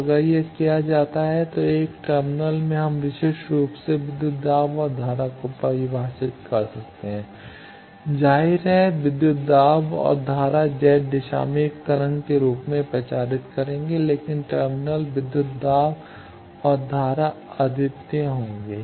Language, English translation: Hindi, So, if this is done then at a terminal plane we can uniquely define voltage and current, obviously, voltage and current will propagate in the Z direction in the form of a wave, but the terminal voltage and current they will be unique